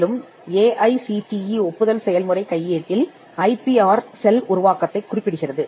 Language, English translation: Tamil, And the AICTE, approval process handbook mentions the creation of IPR cell